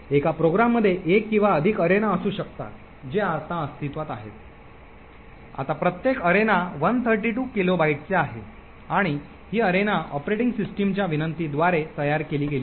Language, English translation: Marathi, One program could have one or more arenas which are present, now each arena is of 132 kilobytes and these arenas are created by invocations to the operating system